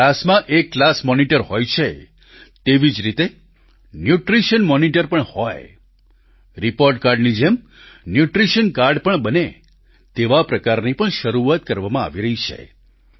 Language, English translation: Gujarati, Just like there is a Class Monitor in the section, there should be a Nutrition Monitor in a similar manner and just like a report card, a Nutrition Card should also be introduced